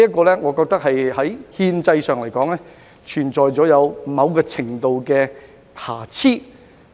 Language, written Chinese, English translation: Cantonese, 我認為這項安排在憲制上存在某程度的瑕疵。, In my opinion there are certain flaws in this arrangement in the constitutional context